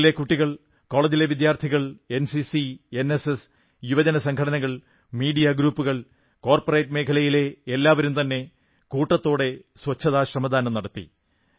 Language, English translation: Malayalam, School children, college students, NCC, NSS, youth organisations, media groups, the corporate world, all of them offered voluntary cleanliness service on a large scale